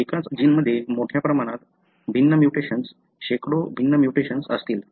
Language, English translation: Marathi, The same gene would have a large number of different mutations, hundreds of different mutations